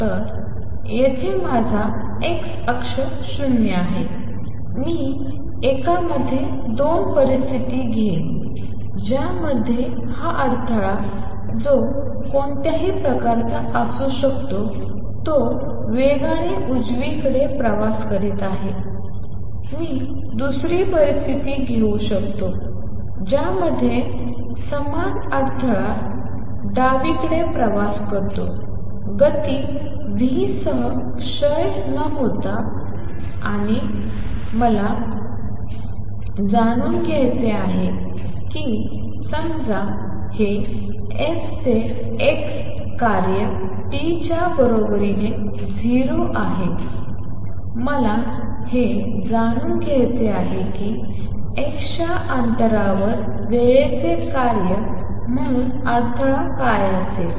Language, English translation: Marathi, So, here is my x axis here is 0, I will take 2 situations in one in which this disturbance which could be any kind is traveling to the right with speed v, I can take another situation in which the same disturbance travels to the left with speed v without getting distorted and I want to know, suppose this is function f of x at time t equals 0, I want to know what would the disturbance be as a function of time at a distance x